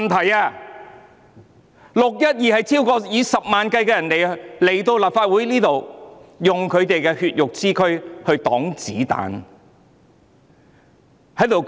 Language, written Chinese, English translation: Cantonese, 在"六一二"事件中，有數以十萬計的市民來到立法會，以他們的血肉之軀抵擋子彈。, In the 12 June incident hundreds of thousands of people came to the Legislative Council and used their bodies to ward off bullets